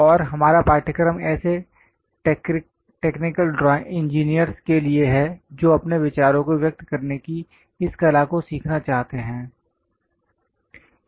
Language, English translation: Hindi, And our course is meant for such technical engineers who would like to learn this art of representing their ideas